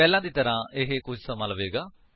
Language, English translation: Punjabi, As before, this may take a while